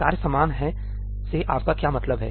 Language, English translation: Hindi, What do you mean by task is common